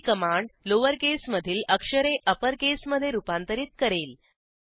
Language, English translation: Marathi, This is the command to convert characters from lower to upper case